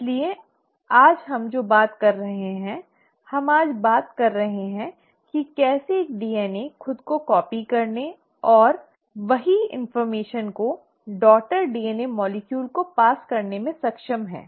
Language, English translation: Hindi, So that is what we are talking today, we are talking today exactly how a DNA is able to copy itself and pass on the same information to the daughter DNA molecule